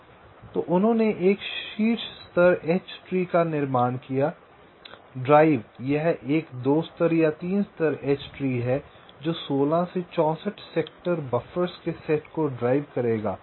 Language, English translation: Hindi, the drive its a two level or three level h tree that will drive a set of sixteen to sixty four sector buffers